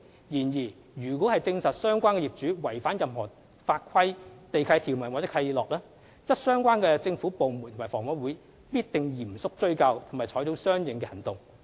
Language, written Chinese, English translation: Cantonese, 然而，若證實相關業主違反任何法規、地契條款或契諾，則相關政府部門及房委會必定嚴肅追究及採取相應行動。, However if it is confirmed that the owner concerned is in breach of any laws land lease conditions or covenants with HA the relevant government departments and HA will certainly pursue the matter seriously and take appropriate actions